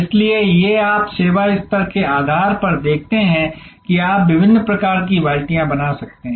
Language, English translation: Hindi, So, these are as you see based on service level you can create different kinds of buckets